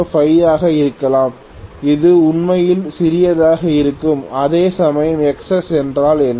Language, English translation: Tamil, 005 something like that it is going to be really really small, whereas if I look at what is Xs